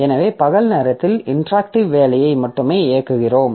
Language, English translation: Tamil, So, during day time we are running only the interactive jobs